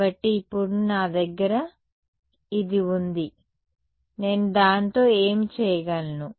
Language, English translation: Telugu, So, now, that I have this what can I do with it